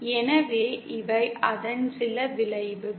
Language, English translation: Tamil, So these are some of the effects